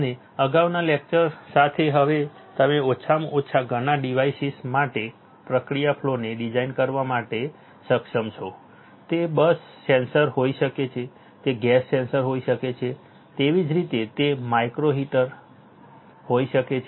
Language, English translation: Gujarati, And also with the earlier lecture now you are at least able to design the process flow for several devices right, it can be a bus sensor, it can be a gas sensor right same way it can be a micro heater right